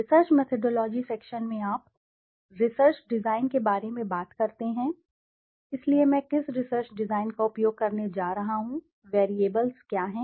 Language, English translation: Hindi, In the research methodology section, you talk about the research design so what research design am i going to use, what are the variables